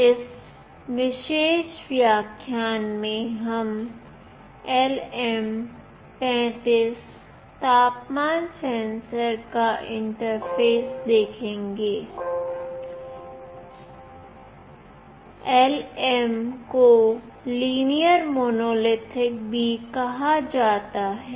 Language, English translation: Hindi, In this particular lecture we will be interfacing LM35 temperature sensor; LM stand for Linear Monolithic